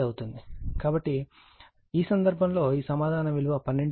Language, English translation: Telugu, So, in this case this answer is 12